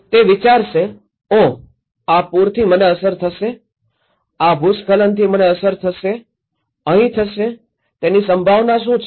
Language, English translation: Gujarati, He would think, Oh this flood will happen to me, this landslide will happen to me, will it happen here, what is the probability